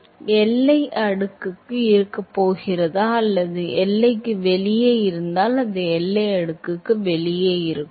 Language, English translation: Tamil, Yeah, is it going to be within boundary layer or outside boundary layer it is, if it is outside boundary layer